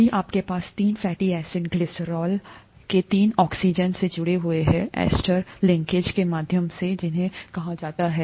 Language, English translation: Hindi, If you have three fatty acids attached to the three oxygens of the glycerol through ester linkages, as they are called